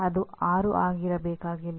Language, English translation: Kannada, It does not have to be 6